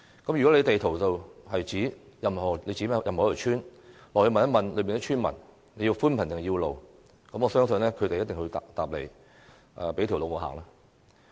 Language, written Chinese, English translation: Cantonese, 如果在地圖上物色任何一條村，到訪當地並詢問村民需要寬頻還是道路，我相信他們一定是說"給我一條路走"。, Just pick any one village on the map pay a visit there and ask local villagers whether they need broadband coverage or a road I believe they will say for sure give me a road to walk on